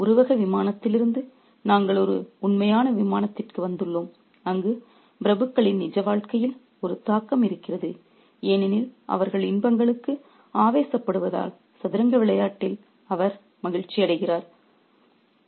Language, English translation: Tamil, So, from a metaphorical plane we have come to a real plane where there is an impact on the real life of the aristocrats because of their obsession to pleasures, pleasures of the game of chess